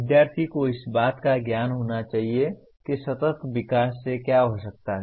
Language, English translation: Hindi, Student should demonstrate the knowledge of what can lead to sustainable development